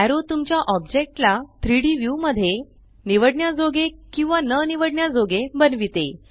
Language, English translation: Marathi, Arrow makes your object selectable or unselectable in the 3D view